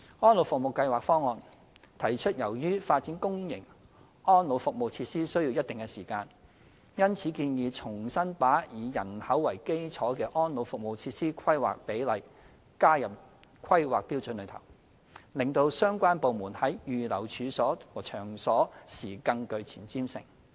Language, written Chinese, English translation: Cantonese, 《安老服務計劃方案》提出，由於發展公營安老服務設施需要一定的時間，因此建議重新把以人口為基礎的安老服務設施規劃比率加入《規劃標準》內，令相關部門在預留處所和場所時更具前瞻性。, As set out in the Elderly Services Programme Plan ESPP the development of public elderly facilities takes considerable time . ESPP therefore recommended the reinstatement of population - based planning ratios in HKPSG to allow better forward planning of the relevant departments in reserving sites and premises